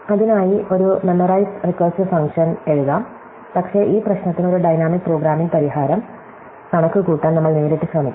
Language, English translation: Malayalam, So, we could write a memorized recursive function for that, but we will directly try to compute a dynamic programming solution for this problem